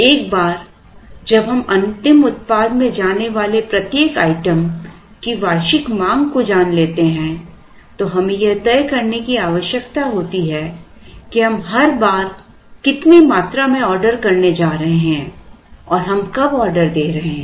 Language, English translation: Hindi, Once we know the annual demand of each of the item that goes into the final product we need to make decisions on what quantity we are going to order every time we place an order and when exactly we are going order